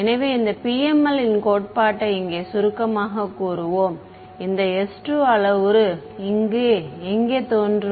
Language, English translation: Tamil, So, let us sort of summarize this PML theory over here this s 2 parameter over here where does it appear